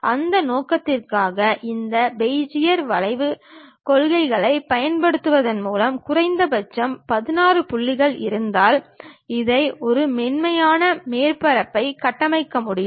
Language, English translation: Tamil, For that purpose what we require is, if we have minimum 16 points by using these Bezier curves principles, one can construct this one a smooth surface